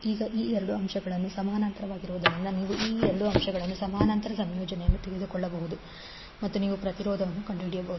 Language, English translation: Kannada, Now since these two elements are in parallel, so you can take the parallel combination of these two elements and you can find out the impedance